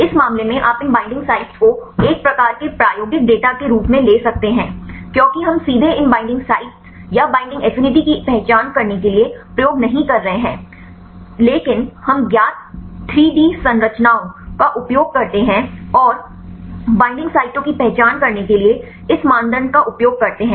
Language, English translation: Hindi, In this case you can take these binding sites as a kind of experimental data because we are not doing experiments directly we have to identify these binding sites or binding affinity, but we use the known 3D structures and use this criteria to identify the binding sites